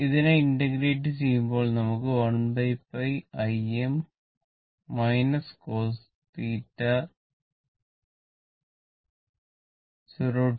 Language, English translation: Malayalam, So, if you integrate it, it will be 1 upon pi I m minus cos theta 0 to pi right